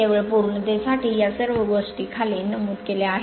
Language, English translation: Marathi, Just for the sake of completeness all this things are noted down right